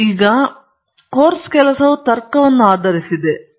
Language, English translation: Kannada, And basically, the course work is usually based on logic